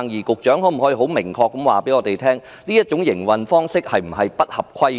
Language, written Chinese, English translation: Cantonese, 局長可否很明確地告訴我們，這種營運方式有否違規？, Will the Secretary make clear to us if this mode of business operation has contravened the laws?